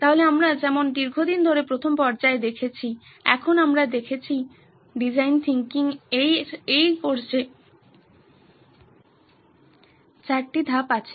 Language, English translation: Bengali, So as we saw in the very first stages have been for a long time now we have been seeing that design thinking in this course has four stages